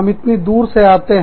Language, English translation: Hindi, We are coming from, so far away